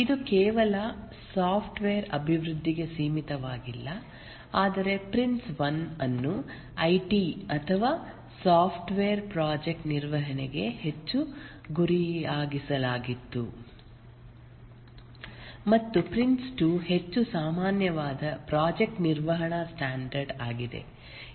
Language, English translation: Kannada, This is not restricted to only software development, but the Prince one was more targeted to the IT or software project management and Prince 2 is become a more generic project management standard